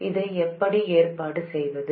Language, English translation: Tamil, How do we arrange this